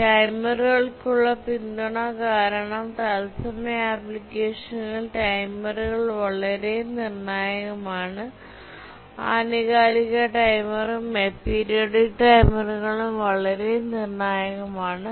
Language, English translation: Malayalam, Support for timers because timers are very crucial in real time applications, both the periodic timer and the aperiodic timers